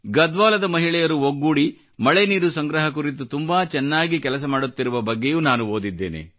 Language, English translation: Kannada, I have also read about those women of Garhwal, who are working together on the good work of implementing rainwater harvesting